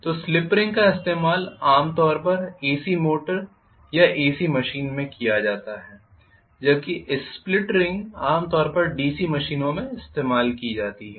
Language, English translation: Hindi, So Slip rings are normally used in AC motor or AC machine, whereas the split rings are normally used in DC machine